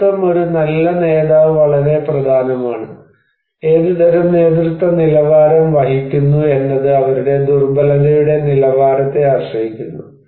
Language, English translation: Malayalam, And also the leadership, a good leader is very important, so what kind of leadership quality one carries it depends on their level of vulnerability